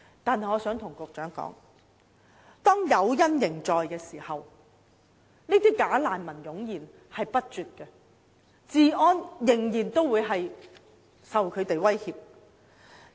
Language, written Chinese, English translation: Cantonese, 但是，我想對局長說，當誘因仍然存在的時候，這些"假難民"便會湧現不絕，香港治安仍然受到威脅。, However I want to tell the Secretary that when the incentives still exist bogus refugees will continue to flood in and the law and order of Hong Kong will still be jeopardized